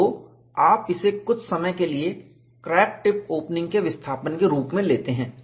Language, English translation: Hindi, So, you take that as crack tip opening displacement, for the time being